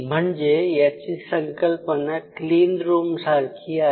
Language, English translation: Marathi, So, the whole concept is like a clean room